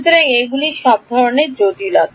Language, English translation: Bengali, So, those are all sorts of complications